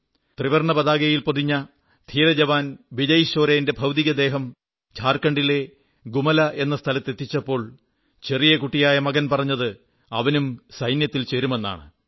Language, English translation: Malayalam, When the mortal remains of Martyr Vijay Soren, draped in the tricolor reached Gumla, Jharkhand, his innocent son iterated that he too would join the armed forces